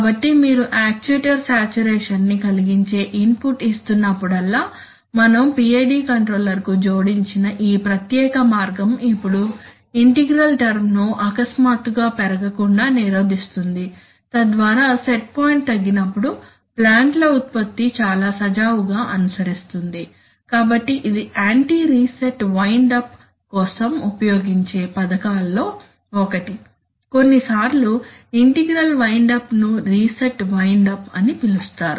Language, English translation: Telugu, So you see that whenever you are giving an input which is going to cause an actuator saturation, the, this path, special path which we have added to the PID controller will now prevent will now prevent the integral term from blowing up, so that when the set point is reduced the plant output will follow very smoothly right, so this is the scheme, this is one of the scheme which can be used for anti reset wind up sometimes integral wind up is called so called reset windup